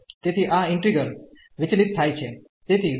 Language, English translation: Gujarati, So, this integral will diverge so diverge